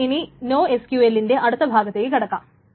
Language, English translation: Malayalam, So then let us move on to the next part of NOSQL is that